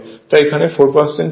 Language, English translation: Bengali, So, it is 3